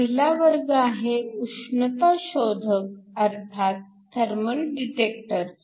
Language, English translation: Marathi, The first class are Thermal detectors